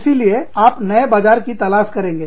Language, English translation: Hindi, So, you will search for new markets